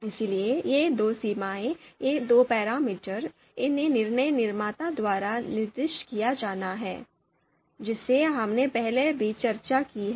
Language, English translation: Hindi, So these two thresholds, these two parameters, they are to be specified by decision maker something that we have discussed before also